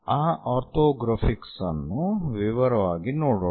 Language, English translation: Kannada, Let us look look at those orthographics in detail